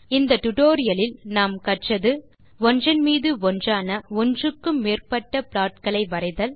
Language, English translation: Tamil, In this tutorial,we have learnt to, Draw multiple plots which are overlaid